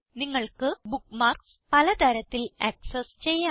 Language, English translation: Malayalam, You can access bookmarks in many ways